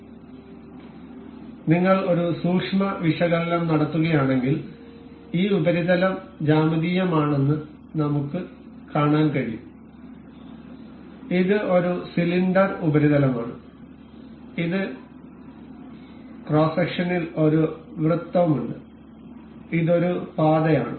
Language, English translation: Malayalam, So, if you take a close analysis we can see that this surface is a geometrical this is a cylindrical surface that has a circle in in cross section and this is a path